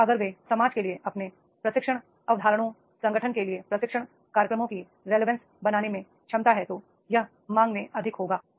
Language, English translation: Hindi, And if they are able to make the relevance of their training concepts, training programs to the organization to the society that will be more in demand